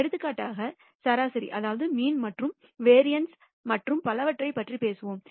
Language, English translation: Tamil, Example we will talk about mean and variance and so on